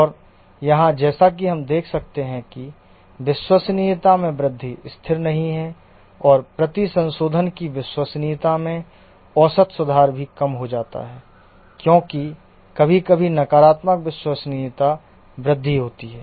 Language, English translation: Hindi, And here as you can see that the growth in reliability is not constant and also the average improvement in reliability per repair decreases because sometimes there are negative reliability growths